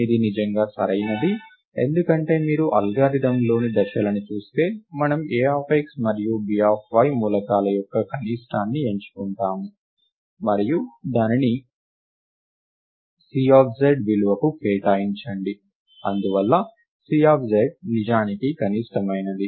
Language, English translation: Telugu, This is indeed correct, because if you look at the steps in the algorithm, we choose the minimum of the elements A of x and B of y and assign it into the value C of z right, and therefore, C of z is indeed the minimum